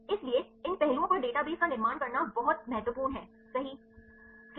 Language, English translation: Hindi, So, it is very important to construct databases right on these aspects, right